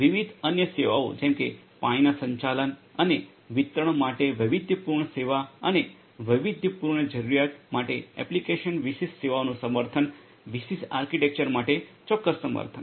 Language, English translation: Gujarati, Different other services such as customizable service for water management and distribution and application specific services for custom requirement specific support and support for different architecture